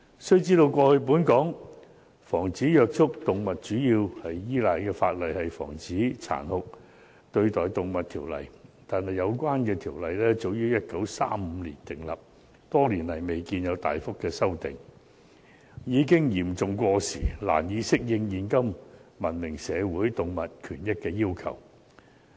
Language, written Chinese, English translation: Cantonese, 須知道，過去本港防止虐待動物主要依賴的法例是《防止殘酷對待動物條例》，但有關條例早於1935年訂立，多年來未見有大幅修訂，已經嚴重過時，難以適應現今文明社會動物權益的要求。, It should be noted that the major legislation against animal cruelty on which Hong Kong has relied is the Prevention of Cruelty to Animals Ordinance . However the Ordinance was enacted in as early as 1935 and has not been substantially revised for many years . It is therefore seriously outdated and can hardly go in tandem with the animal rights of the present civilized society